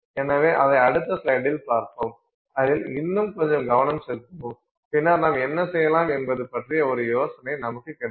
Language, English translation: Tamil, In our next slide we will focus on that a little bit more and then you will get an idea of what we can do